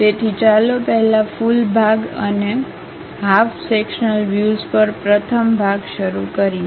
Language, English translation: Gujarati, So, let us first begin the first part on full section and half sectional views